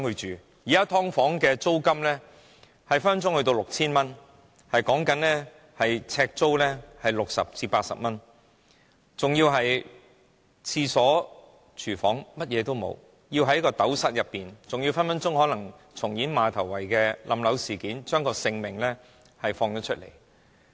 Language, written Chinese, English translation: Cantonese, 現時"劏房"的租金動輒高達 6,000 元，呎租是60元至80元，更沒有廁所、廚房等設施，生活起居所需全在斗室內解決，更時刻會重演馬頭圍塌樓事件，生命毫無保障。, The rent of a subdivided unit can easily reach 6,000 the per - square - foot cost is 60 to 80 but facilities such as toilet or kitchen are non - existent . People have to deal with every aspect of their daily life in a tiny unit . They are also constantly under the threat of building collapse just like the incident in Ma Tau Wai